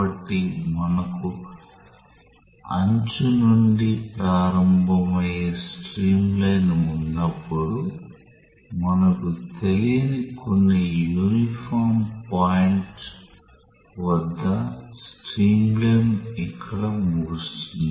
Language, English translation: Telugu, So, when we have the streamline starting from the edge the streamline will end up here at some arbitrary point which is not known to us